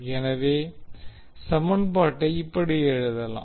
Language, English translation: Tamil, So now we have 4 equations